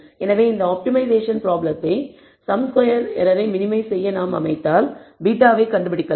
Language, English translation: Tamil, So, if we setup this optimization problem to minimize the sum squared errors to find beta we will we can show